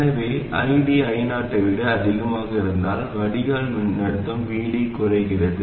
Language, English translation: Tamil, So, if ID is more than I 0, then the drain voltage VD reduces